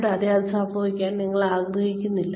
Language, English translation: Malayalam, And, you do not want that to happen